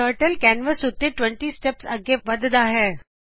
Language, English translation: Punjabi, Turtle moves 20 steps forward on the canvas